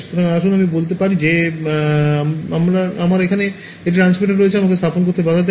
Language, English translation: Bengali, So, let us say I have one transmitter over here, what prevents me from putting